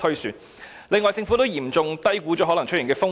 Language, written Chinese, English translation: Cantonese, 此外，政府亦嚴重低估了可能出現的風險。, Worse still the Government has seriously underestimated the possible risks that may arise